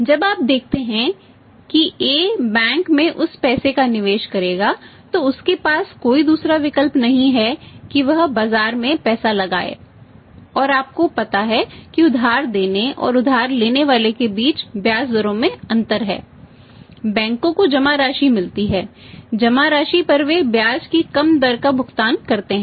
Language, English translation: Hindi, When you see A will invest that money in the bank for example he has no other option he invested money in the market and you know it that there's a difference in the interest rates between the lending miss between lending and borrowing money banks get the deposits the pay lesser the rate of interest on deposits